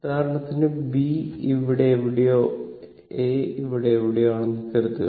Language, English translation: Malayalam, For example, suppose if B is somewhere here, and A is somewhere here